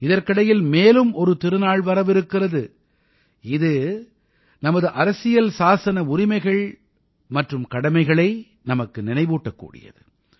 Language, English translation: Tamil, Meanwhile, another festival is arriving which reminds us of our constitutional rights and duties